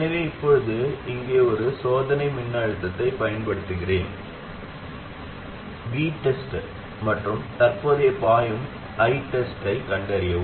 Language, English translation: Tamil, So now let me apply a test voltage here, V test, and find the current flowing I test